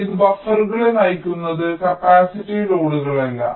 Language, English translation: Malayalam, it is only driving the buffers, not the capacitive loads